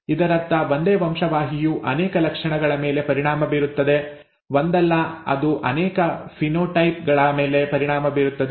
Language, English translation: Kannada, This means that the same gene affects many characters, not just one, it it affects multiple phenotypes